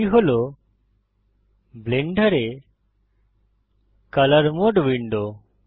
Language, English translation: Bengali, This is the colour mode window in Blender